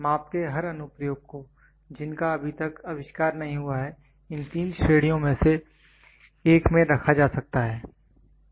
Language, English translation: Hindi, Every application of the measurement including those not yet invented can be put in one of these three categories